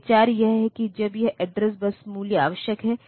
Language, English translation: Hindi, So, the idea is that when this address bus value is necessary